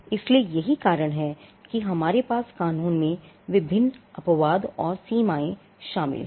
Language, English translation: Hindi, So, that is the reason why we have various exceptions and limitations included in the law